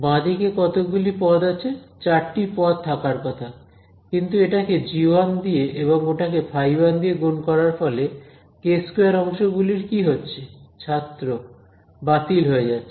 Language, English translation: Bengali, On the left hand side how many terms are there it should be 4 terms, but a result of multiplying this by g 1 and that by phi 1 what will happen, what will happened with the k square terms